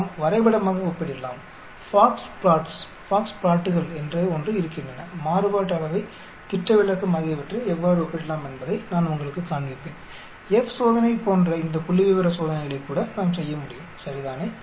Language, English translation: Tamil, we can compare graphically there is something called Box Plots, I will show you how we can compare Variance, Standard deviation, we can even do this statistical tests like F test right